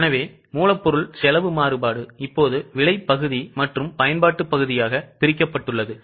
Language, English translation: Tamil, So, material crossed variance is now broken down into price part and usage part